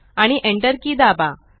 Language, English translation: Marathi, And press the Enter key